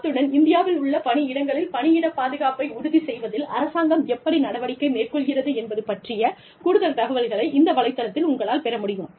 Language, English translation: Tamil, And, you can get much more information about, how the government proposes, to ensure workplace safety, and in workplaces, in India